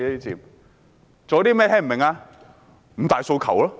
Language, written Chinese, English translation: Cantonese, 不就是五大訴求嘛！, Precisely the five demands!